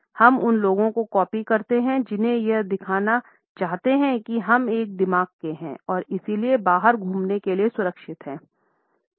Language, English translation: Hindi, We mirror people to show them that we are like minded and therefore, safe to hang out with